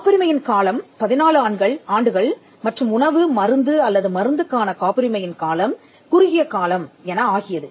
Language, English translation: Tamil, The term of a patent was 14 years and the term of a patent for a food medicine or drug was a shorter period